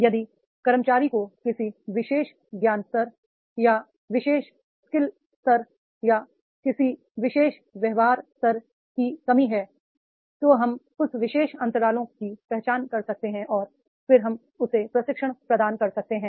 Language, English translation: Hindi, If the employee is lacking in a particular knowledge level or particular skill level or a particular behavioral level then we can identify those particular gaps and then we can provide him the training